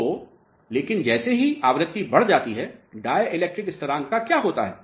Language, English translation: Hindi, So, but the moment frequency is increased, what happen to the dielectric constant